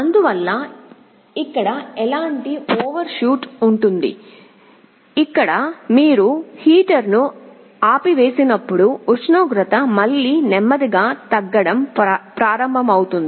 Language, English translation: Telugu, Thus, there will be an overshoot like this here, here and then when you turn off the heater the temperature will again slowly start to go down